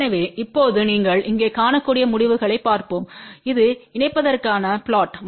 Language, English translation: Tamil, So, now let us see the results you can see here this is the plot for the coupling